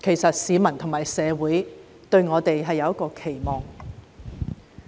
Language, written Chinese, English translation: Cantonese, 因為市民和社會對我們有所期望。, The reason is that people and the community cherish expectation of us